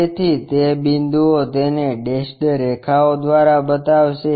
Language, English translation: Gujarati, So, those points will show it by dashed lines